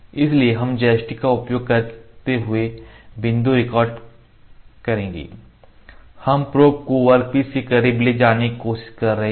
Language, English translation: Hindi, So, we will record the points using joystick, we are trying to move the probe close to the component